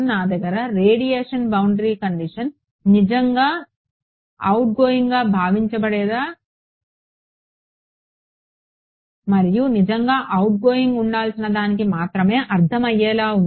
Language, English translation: Telugu, I have the radiation boundary condition make sense only for something which is truly supposed to be outgoing and what is truly supposed to be outgoing